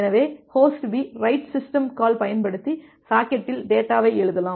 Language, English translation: Tamil, So, host B can use this write system call to write the data in this socket